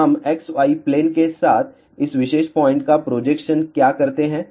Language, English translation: Hindi, So, what we do we take the projection of this particular point along x y plane